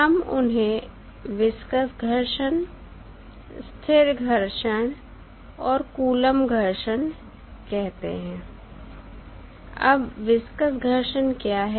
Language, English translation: Hindi, We call them viscous friction, static friction and Coulomb friction